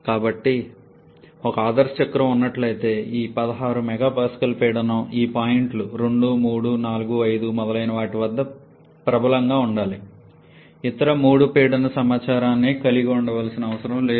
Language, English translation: Telugu, So, had there been an ideal cycle this 16 MPa pressure should have been prevailed at all these points 2, 3, 4, 5 etc we do not need to have all other three pressure information